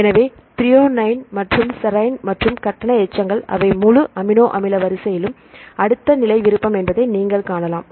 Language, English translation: Tamil, So, you can see that threonine and serine and the charges residues, they are next level preference in the whole amino acid sequence